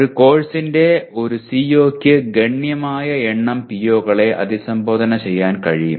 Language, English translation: Malayalam, Further a CO of a course can potentially address a significant number of POs